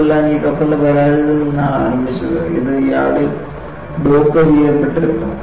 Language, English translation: Malayalam, And it all started from the failure of this ship, and this was docked in the yard